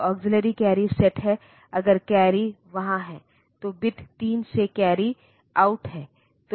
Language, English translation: Hindi, So, auxiliary carry is set if the carry is there is from bit 3 there is a carry out